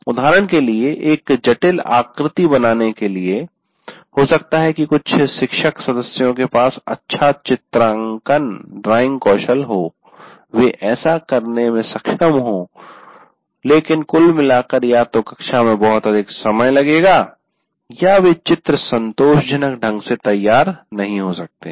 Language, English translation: Hindi, For example, you to draw a complex figure, maybe some faculty members have good drawing skills they may be able to do, but by and, complex figures, either it will take too much of time in the classroom or they may not be written satisfactor, they may not be drawn satisfactorily